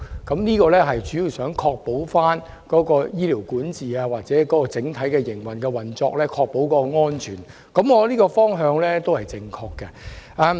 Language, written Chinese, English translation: Cantonese, 這點主要是想在醫療管治或整體運作上確保病人安全，我認為這個方向是正確的。, The main purpose is to ensure the safety of patients in health care governance or overall operation . I consider this the right direction